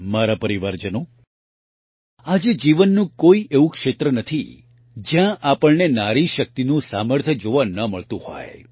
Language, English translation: Gujarati, My family members, today there is no area of life where we are not able to see the capacity potential of woman power